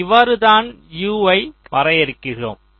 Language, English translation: Tamil, this is how you define u